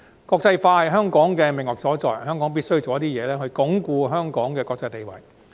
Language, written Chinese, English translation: Cantonese, 國際化是香港的命脈所在，香港必須設法鞏固香港的國際地位。, As internationalization is the lifeline of Hong Kong we must strive to consolidate Hong Kongs international status